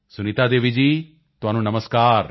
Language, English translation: Punjabi, Sunita Devi ji, Namaskar